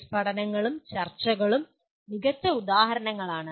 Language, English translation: Malayalam, Case studies and discussions are the best examples